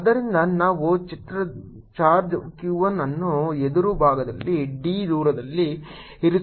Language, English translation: Kannada, so we are placing an image charge q one at a distance d on the opposite side